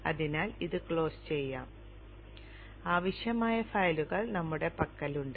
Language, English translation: Malayalam, So this can be closed and we have the required files